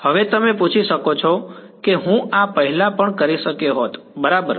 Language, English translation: Gujarati, Now you can ask I could have done this earlier also right